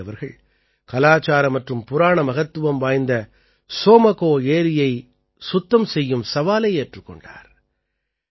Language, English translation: Tamil, Sange ji has taken up the task of keeping clean the Tsomgo Somgo lake that is of cultural and mythological importance